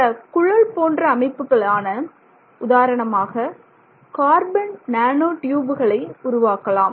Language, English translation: Tamil, And then so you can make you know many of the tube like structures that we make carbon nanotubes, etc